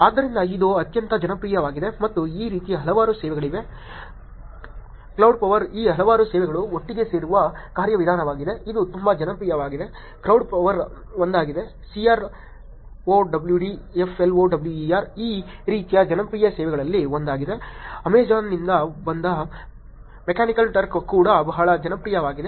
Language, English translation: Kannada, So it is the very popular and there are many many services like this, crowd flower which is mechanism in which many of these services come together, it is also very popular crowd flower is one c r o w d f l o w e r, is one of the popular services like this Mechanical turk which is from Amazon is also very popular